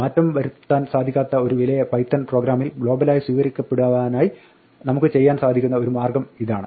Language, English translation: Malayalam, So, this is one way in which we can make an immutable value accessible globally within a Python program